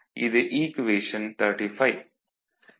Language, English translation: Tamil, So, this is equation 35